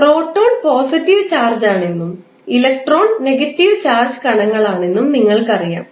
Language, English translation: Malayalam, You know that the electron is negative negative charged particle while proton is positive charged particle